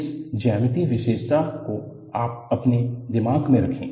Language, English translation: Hindi, Keep this geometric feature in your mind